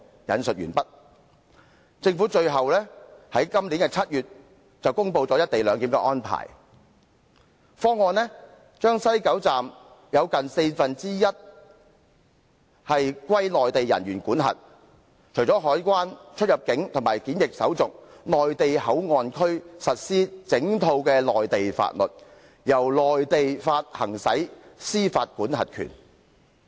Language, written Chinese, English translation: Cantonese, "最後，政府在今年7月公布"一地兩檢"安排方案，把西九龍總站劃出近四分之一範圍歸內地人員管轄，除了海關、出入境及檢疫手續，內地口岸區實施整套內地法律，由內地行使司法管轄權。, End of quote At last the Government announced this July the implementation of Hong Kong and Mainland CIQ procedures at West Kowloon Station under which almost a quarter of the West Kowloon Terminus has been carved out for establishing a Mainland jurisdiction namely the Mainland port area . Apart from the CIQ procedures a complete set of Mainland laws will apply in the Mainland port area where jurisdiction will be exercised by the Mainland